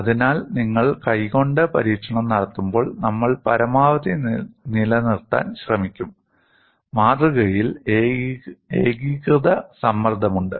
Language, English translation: Malayalam, So, when you are doing the experiment by hand, we will try to maintain as much as possible, there is uniform stress on the specimen